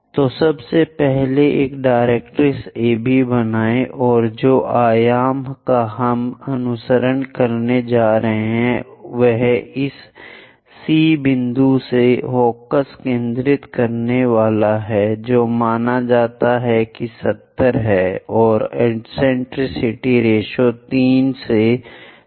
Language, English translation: Hindi, So, first of all, draw a directrix AB and the dimensions what we are going to follow is focus from this C point supposed to be 70 and eccentricity ratio is 3 by 4